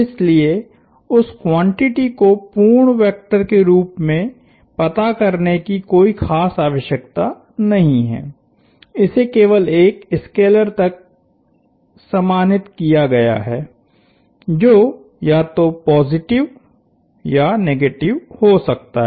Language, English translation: Hindi, So, there is no real need to keep track of that quantity as a full vector, it has been reduced to simply a scalar that can either be positive or negative